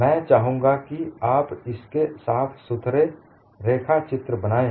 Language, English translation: Hindi, I would like you to make neat sketches of this